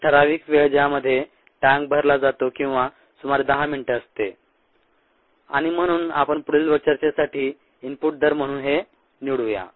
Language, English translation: Marathi, a typical time in which the tank gets filled is about ten minutes and therefore let us choose this as the input rate for further discussion